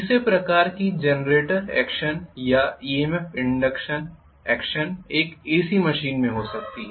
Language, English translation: Hindi, The third type of the generator action or EMF induction action can happen in an AC machine